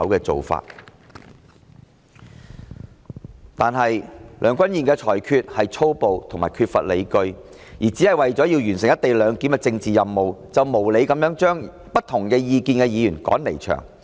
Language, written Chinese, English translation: Cantonese, 然而，梁君彥主席的裁決粗暴及缺乏理據，為了完成"一地兩檢"的政治任務，無理地把持不同意見的議員趕離場。, President Mr Andrew LEUNGs rulings were brutal and unfounded . In order to accomplish his political mission relating to the co - location arrangement he unreasonably evicted Members of opposing views